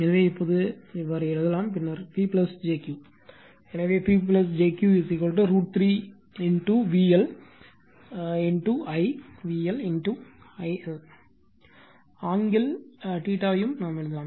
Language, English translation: Tamil, So, now we can write now, then P plus jQ, so we also can write P plus jQ is equal to root 3 V L I V L I L angle theta